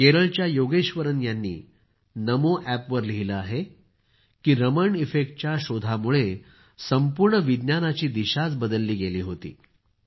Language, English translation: Marathi, Yogeshwaran ji from Kerala has written on NamoApp that the discovery of Raman Effect had changed the direction of science in its entirety